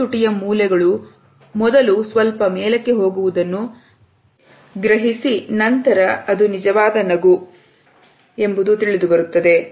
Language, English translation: Kannada, See the two lip corners going upwards first slightly and then even more you know that is a genuine smile